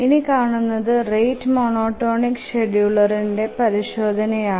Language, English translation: Malayalam, Now let's examine for the rate monotonic scheduling